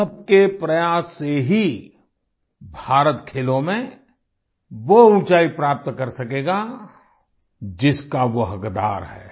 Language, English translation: Hindi, It is only through collective endeavour of all that India will attain glorious heights in Sports that she rightfully deserves